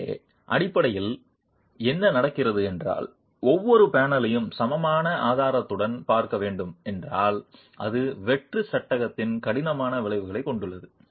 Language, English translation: Tamil, So, what basically happens is if you were to look at every panel with an equivalent strut, it has a stiffening effect on the bareframe